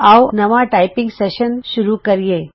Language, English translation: Punjabi, Lets begin a new typing session